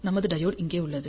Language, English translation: Tamil, We have a diode here